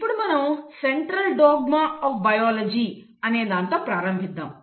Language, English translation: Telugu, So we will start with what is called as the Central dogma of biology